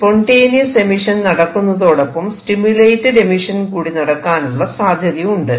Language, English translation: Malayalam, Two along with spontaneous emission there is a possibility of stimulated emission also